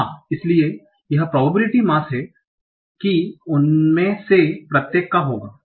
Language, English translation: Hindi, So what will the probability mass for them